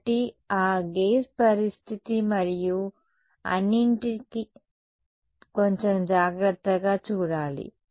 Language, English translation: Telugu, And so, this gauge condition and all has to be seen little bit more carefully